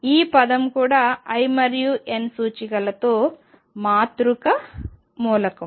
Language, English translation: Telugu, This is a matrix element with m and l indices